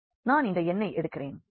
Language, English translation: Tamil, So, this is one element so, let me take this n